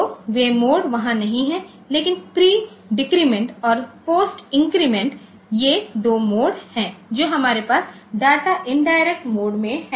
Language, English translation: Hindi, So, those modes are not there, but pre decrement and post increment these are the two modes that we have with data indirect mode